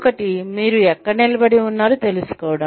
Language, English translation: Telugu, One is knowing, where you stand